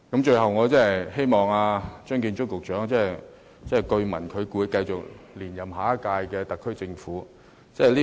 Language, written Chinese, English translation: Cantonese, 最後，我希望張建宗司長......據聞他會在下屆特區政府留任。, Finally I hope Chief Secretary Matthew CHEUNG Rumour has it that he would stay on and work for the next - term Government